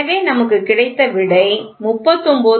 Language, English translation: Tamil, So, what we get the answer is 39